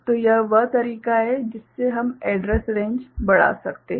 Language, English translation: Hindi, So, that is the way we can increase the address range